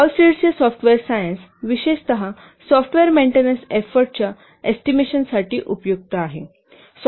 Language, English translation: Marathi, Hullstead software science is especially useful for estimating software maintenance effort